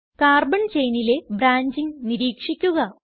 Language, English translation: Malayalam, Observe the branching in the Carbon chain